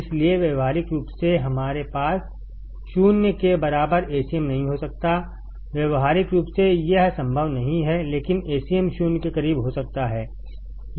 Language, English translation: Hindi, So, practically we cannot have Acm equal to 0; practically this is not possible, but Acm can be close to 0